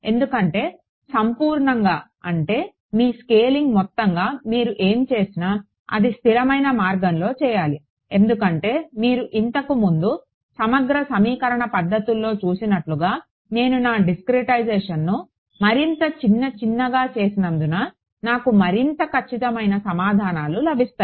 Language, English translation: Telugu, Because, overall your I mean your scaling overall whatever you do, it should be done in a consistent way because as you seen in integral equation methods before, as I make my discretization finer and finer I get more and more accurate answers